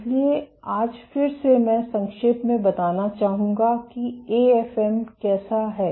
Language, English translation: Hindi, So, today again I would like to briefly recap how an AFM is